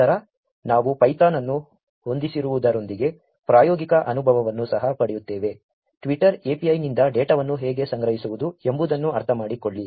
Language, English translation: Kannada, Then we will also get hands on experience with setting up python; understand how to collect data from Twitter API